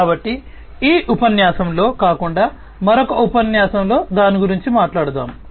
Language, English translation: Telugu, So, we will talk about that in another lecture not in this lecture